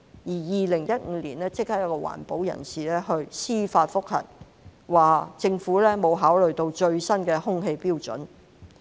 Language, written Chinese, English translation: Cantonese, 在2015年，一名環保人士提出司法覆核，指政府沒有考慮最新的空氣標準。, By 2015 an environmentalist filed a JR by claiming that the Government had not taken into account the latest air quality standards